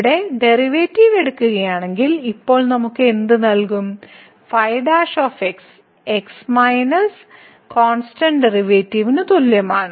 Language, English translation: Malayalam, So, what will now give us if we take the derivative here the is equal to the derivative of minus this is a constant